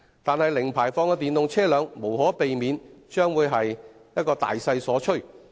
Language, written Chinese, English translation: Cantonese, 不過，零排放的電動車輛將無可避免地成為大勢所趨。, Nevertheless electric vehicles with zero emission will inevitably become the trend